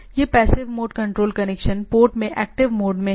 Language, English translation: Hindi, So, this is the in active mode in the passive mode control connection port